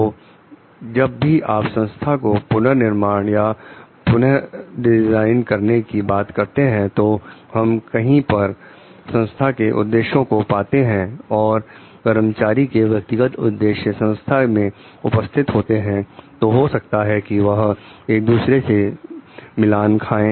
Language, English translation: Hindi, So, whenever we are talking of redesigning restructuring the organization somewhere we find like the organizational objectives and the personal objectives of the employees present in the organization may not be like matching with each other